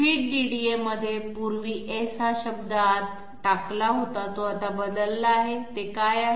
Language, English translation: Marathi, In the feed DDA previously the S word which was put inside that has now changed, what is that